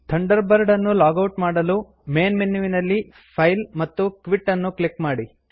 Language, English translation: Kannada, To log out of Thunderbird, from the Main menu, click File and Quit